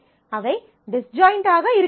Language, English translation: Tamil, So, they have to be disjoint